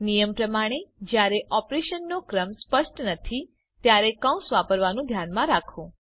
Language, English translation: Gujarati, As a rule, keep in mind to use parentheses when the order of operations is not clear